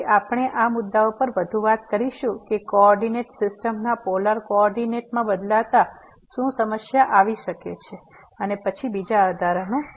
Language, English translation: Gujarati, So, we will talk more on these issues that what could be the problem by while changing the coordinate system to polar coordinate and more examples later